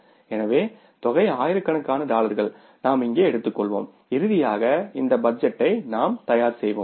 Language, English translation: Tamil, So, amount in thousands of dollars we will be taking here and finally we will be preparing this budget